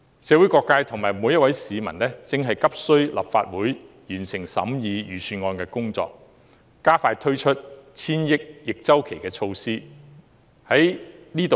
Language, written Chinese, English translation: Cantonese, 社會各界和每位市民急需立法會完成審議預算案的工作，加快推出千億元的逆周期措施。, Various sectors and every citizen are anxiously waiting for the completion of the scrutiny of the Budget by the Legislative Council and speedy implementation of the counter - cyclical measures amounting to over 100 billion